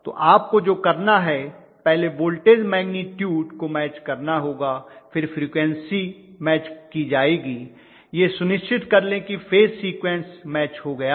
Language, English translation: Hindi, So what you have to do is to first voltage magnitude have to be matched then the frequency will be matched make sure the phase sequence is matched